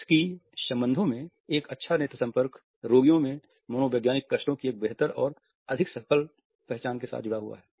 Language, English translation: Hindi, In therapeutic relationships a good eye contact is associated with a better and more successful recognition of psychological distresses in patients